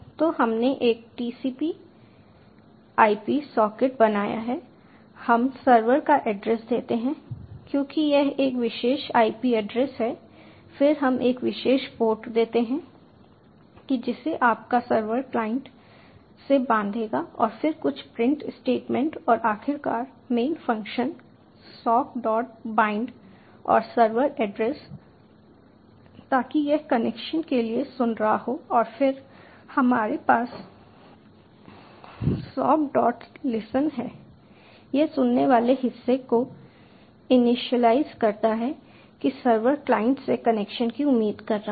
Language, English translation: Hindi, we give the server address, as this is a particular ip address, then we give a particular port to which server your client will bind, and just some print statements and eventually the main functions, sock dot bind and server address, so that this will be listening for connections, and then we have sock dot listen